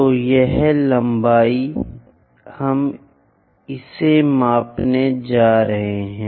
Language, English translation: Hindi, So, that this length we are going to measure it